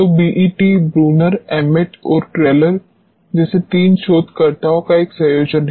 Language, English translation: Hindi, So, BET is a combination of three researchers like Bruner Emmett and Teller